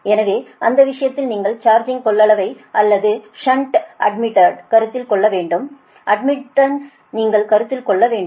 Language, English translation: Tamil, so in that case you have to consider the charging capacitance or shunt admitted is this thing you are, admitted, you have to consider